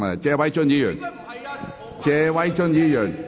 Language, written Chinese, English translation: Cantonese, 謝偉俊議員，請繼續發言。, Mr Paul TSE please continue with your speech